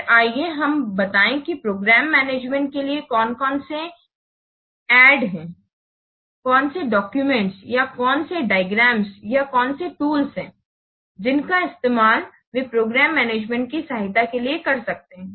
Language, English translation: Hindi, Then let's say what are the ATS to Program Management, what documents or what diagrams or what tools they can be used to add program management